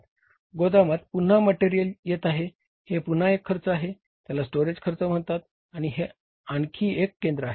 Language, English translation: Marathi, Material coming to the warehouse again it has the cost storage cost and that is a one more center